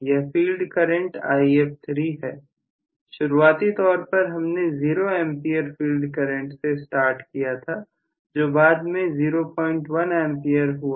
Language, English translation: Hindi, This field current is If3, so initially I started off with zero Ampere field current maybe it become 0